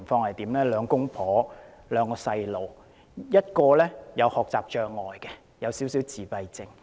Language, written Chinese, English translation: Cantonese, 一對夫婦有兩個孩子，一個有學習障礙及輕微自閉症。, It consists of a couple with two children . One of them has learning disabilities and mild autism